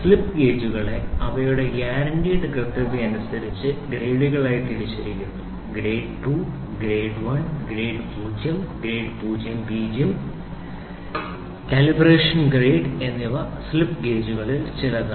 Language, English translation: Malayalam, The slip gauges are classified into grades depending on their guaranteed accuracy Grade 2, Grade 1, Grade 0, Grade 00 and Calibration Grade are some of the where the 5 grade of slip gauges